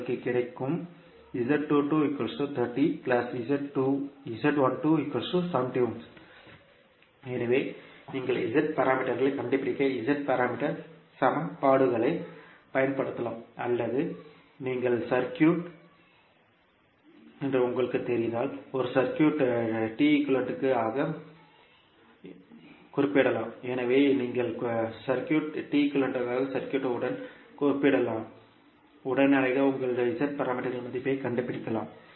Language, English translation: Tamil, So, you can use either the Z parameter equations to find out the Z parameters, or you, if you know that the circuit is, a circuit can be represented as a T equivalent, so you can compare the circuit with T equivalent circuit and straight away you can find out the value of Z parameters